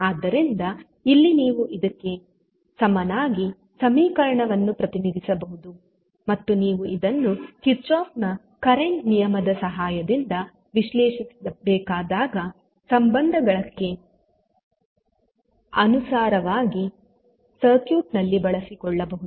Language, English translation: Kannada, So, in this you can represent equivalently the equation for Is and this you can utilize whenever you see the circuit to be analyzed with the help of Kirchhoff’s current law